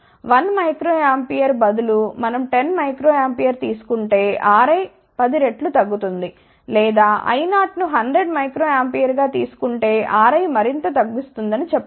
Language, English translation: Telugu, Instead of 1 micro ampere if we takes a 10 microampere, then R i will reduce by 10 times, or if we take I 0 as 100 micro ampere, then we can say that R i will reduce further